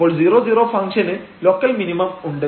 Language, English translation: Malayalam, So, this 0 0 is a point of local minimum